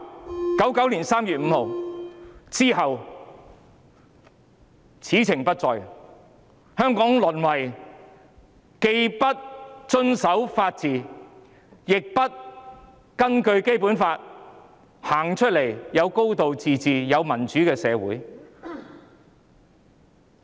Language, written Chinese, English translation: Cantonese, 在1999年3月5日後，此情不再，香港淪為既不遵守法治，亦不根據《基本法》實行"高度自治"及民主的社會。, After 5 March 1999 it became history . Hong Kong degenerated into a society which neither followed the rule of law nor implemented a high degree of autonomy or democracy in accordance with the Basic Law